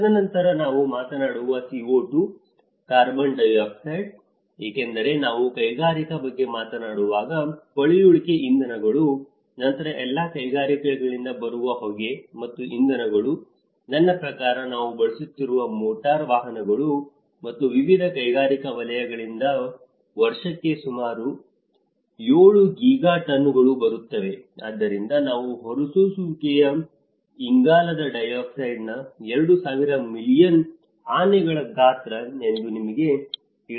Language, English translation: Kannada, And then the CO2, the carbon dioxide which we talk about because the fossil fuels when we talk about industrial, then smoke which is coming from all the industries and as well as the fuels which we are; I mean the motor vehicles which we are using and various industrial sectors which were so, it is almost coming about 7 Giga tons per year which is about you know 2000 million elephants size of the carbon dioxide which we are emitting